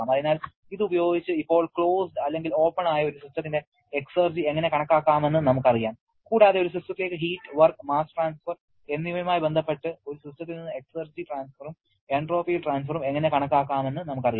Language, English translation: Malayalam, So, using this now we know how to calculate the exergy of a system closed or open and also we know how to calculate the exergy transfer and entropy transfer to a system or from a system associated with heat, work and mass transfer